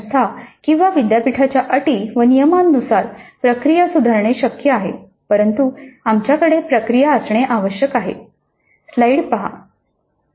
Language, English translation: Marathi, It is possible to fine tune the process according to the rules and regulations of the institute or the university but we must have a process